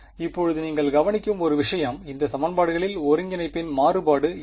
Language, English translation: Tamil, Now, one thing that you will notice is in these equations what is the variable of integration